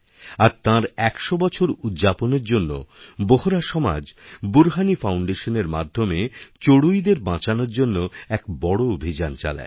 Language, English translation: Bengali, As part of the celebration of his 100th year the Bohra community society had launched a huge campaign to save the sparrow under the aegis of Burhani Foundation